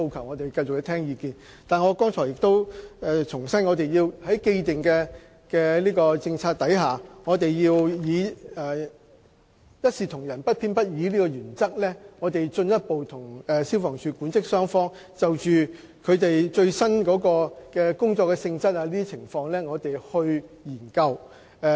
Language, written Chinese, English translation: Cantonese, 我們會繼續聆聽他們的意見，但我必須重申，在既定政策下，我們要按一視同仁、不偏不倚的原則，進一步與消防處管職雙方就最新的工作性質等情況進行研究。, We will continue to listen to their views but I must reiterate that under the established policies we will comply with the principle of impartiality and equal treatment to all staff . We will liaise with the management and staff of FSD on matters such as the latest job nature